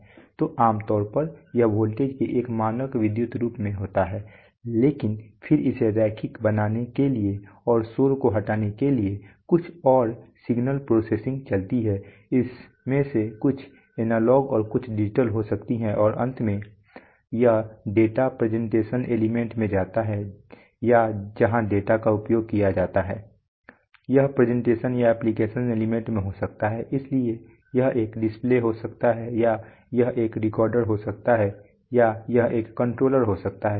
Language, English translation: Hindi, So, at, generally at this level it is in a standard electrical form of voltage but then some further signal processing goes on to remove noise to make it linear, and things like that, some of it can be analog, some of it can be digital and then finally it goes to the data presentation element or where the data is utilized, it can be presentation or application element, so it can be a display or it can be a recorder or it can be a controller